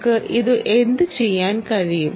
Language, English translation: Malayalam, what can we do with that